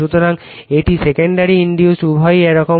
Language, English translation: Bengali, So, this is your secondary induced both will be like this